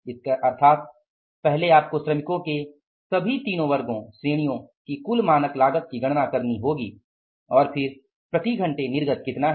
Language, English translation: Hindi, It means first you have to calculate the total standard cost of all the three category of the workers